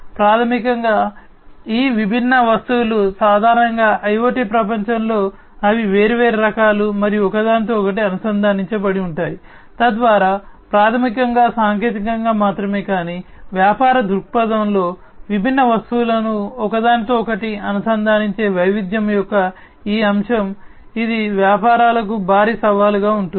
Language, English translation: Telugu, So, basically these different objects typically in the IoT world, they are you know they are of different types and they are interconnected together, so that basically also poses not only technically, but from a business perspective, this aspect of diversity of interconnecting different objects, it poses a huge challenge for the businesses